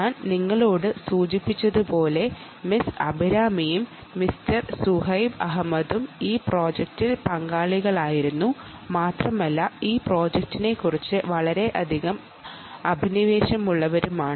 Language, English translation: Malayalam, ok, and, as i mentioned to you, miss abhirami and mister zuhaib ahmed were involved in this project and are very passionate about this project